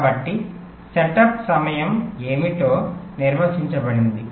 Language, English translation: Telugu, setup time is what